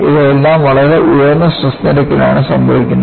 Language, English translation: Malayalam, So, these are all happening at very high strain rates